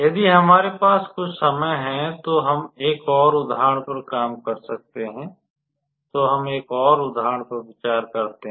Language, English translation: Hindi, We can work out one more example if we have some time, so let us consider an another example